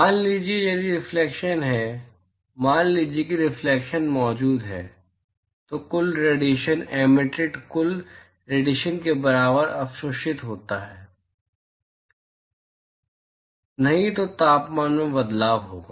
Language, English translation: Hindi, Supposing if reflection is there, supposing if reflection is present, then the total radiation absorbed equal to total radiation emitted; otherwise, there is going to be change in the temperature